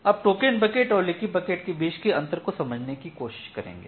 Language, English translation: Hindi, So, that is the difference between token bucket and leaky bucket